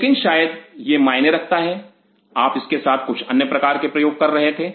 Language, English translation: Hindi, But maybe it matters you were doing some other kind of experiments with it